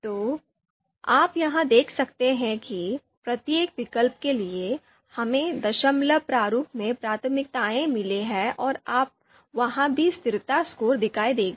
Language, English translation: Hindi, So you can see again here for each of the alternatives, we have got these these you know priorities in decimal format and you would also see consistency score there